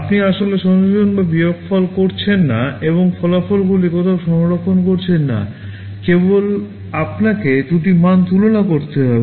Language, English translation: Bengali, You are actually not doing addition or subtraction and storing the results somewhere, just you need to compare two values